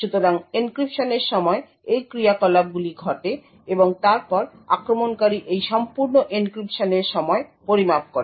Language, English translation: Bengali, So, during the encryption these operations take place and then the attacker measures the time for this entire encryption